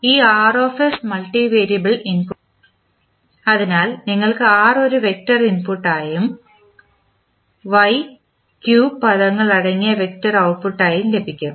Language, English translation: Malayalam, So, this Rs is multivariable input so you will have R as a vector as an input and Y as an output containing the vector of q terms